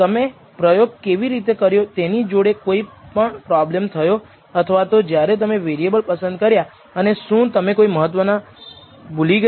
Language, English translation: Gujarati, What how did the how did you conduct the experiments, whether there was any problem with that or the variables when you select and did you miss out some important ones